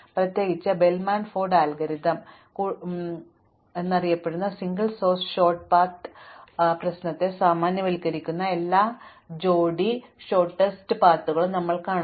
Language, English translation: Malayalam, In particular we will look at Bellman Ford algorithm, and we will also see that all pair shortest path problems which generalize the single source short path problem called the Floyd Warshall algorithm